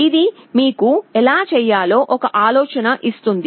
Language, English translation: Telugu, This will give you an idea, how to do it